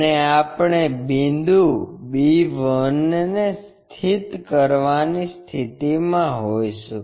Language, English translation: Gujarati, And, we will be in a position to locate point b 1